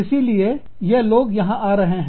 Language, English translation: Hindi, So, these people are coming here